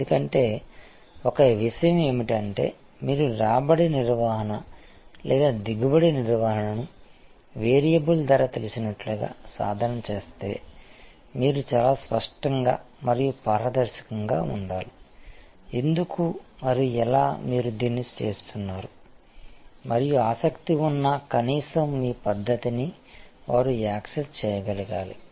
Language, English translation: Telugu, Because, one thing is that if you practice revenue management or yield management as it is know variable pricing you have to be very clear and transparent and that why and how you are doing this and at least people who are interested they should be able to access your methodology